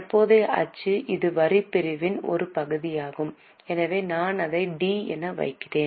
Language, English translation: Tamil, Current taxes, this is a part of tax segment, so I am putting it as T